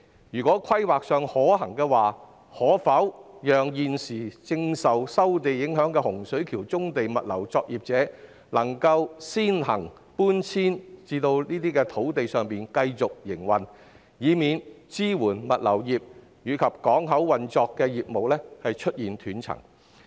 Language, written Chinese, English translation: Cantonese, 如在規劃上可行的話，我建議政府讓現時受收地影響的洪水橋棕地物流作業者，先行搬遷至該等土地上繼續營運，以免支援物流業及港口運作的業務出現斷層。, If it is feasible in planning I suggest the Government to accord priority to the Hung Shui Kiu brownfield logistics operators currently affected by the land resumption to relocate to these sites to enable them to continue with their operations so as to avoid disruptions to the businesses supporting the logistics industry and port operations